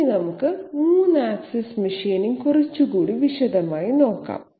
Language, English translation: Malayalam, Now let us look at 3 axis machining in a little more detail